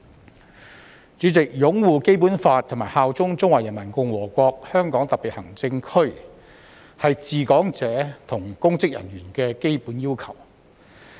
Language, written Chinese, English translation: Cantonese, 代理主席，擁護《基本法》及效忠中華人民共和國香港特別行政區，是治港者及公職人員的基本要求。, Deputy President upholding the Basic Law and bearing allegiance to the Hong Kong Special Administrative Region of the Peoples Republic of China SAR are the basic requirements for those governing Hong Kong as well as public officers